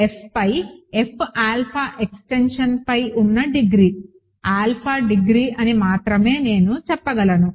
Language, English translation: Telugu, I can only say that I should only say that the degree on the extension F alpha over F is degree of alpha